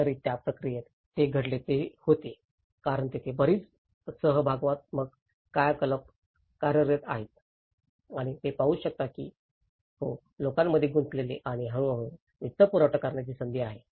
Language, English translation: Marathi, So, in that process, what happened was because there is a lot of participatory activities working on and they could see that yes, there is a scope of engaging the public and gradually the funding